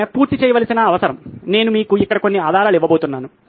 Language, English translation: Telugu, The requirement being she has to finish, I am going to give you some clues here